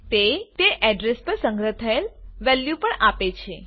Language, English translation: Gujarati, It also gives value stored at that address